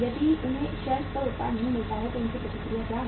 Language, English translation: Hindi, If they do not find the product on the shelf what is their reaction